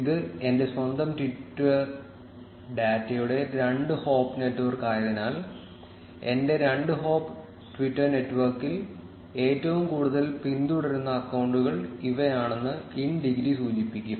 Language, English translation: Malayalam, Since, it is a two hop network of my own twitter data, therefore the in degree would signify that these are the accounts which are most followed in my two hop twitter network